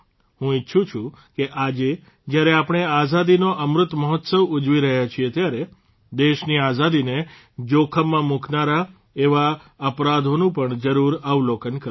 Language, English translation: Gujarati, I wish that, today, when we are celebrating the Azadi Ka Amrit Mahotsav we must also have a glance at such crimes which endanger the freedom of the country